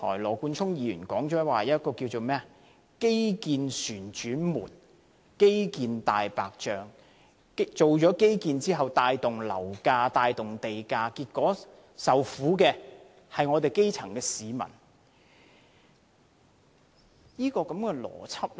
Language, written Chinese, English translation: Cantonese, 羅冠聰議員提到所謂"基建旋轉門"及"大白象"基建項目，說進行基建後帶動樓價和地價上升，結果受苦的是基層市民。, Mr Nathan LAW mentioned the infrastructure revolving door and the white elephant infrastructure projects . According to him infrastructure development led to higher property and land prices bringing sufferings to the grass roots